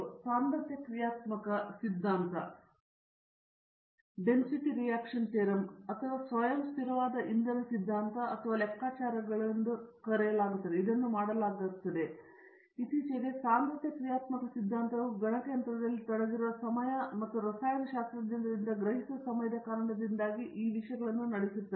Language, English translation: Kannada, So, this is done by density functional theory or self consistent fuel theory or calculations, but the recent times density functional theory has over run all these other things because of the time involved in the computation and also comprehension by the chemists